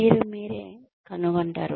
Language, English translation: Telugu, You find yourself in